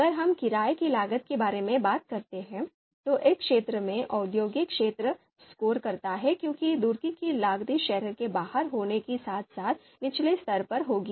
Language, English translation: Hindi, We talk about the rental cost, then then industrial area scores in this aspect because the renal cost would be on the lower side because this is outside the city